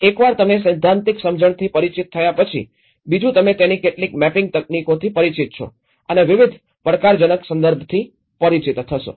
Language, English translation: Gujarati, So once you are familiar with the theoretical understanding, the second you are familiar with some of the mapping techniques of it and getting familiar with different challenging context